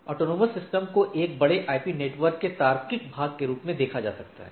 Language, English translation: Hindi, So, autonomous system or a, AS can be looked as a logical portion of a large IP network, right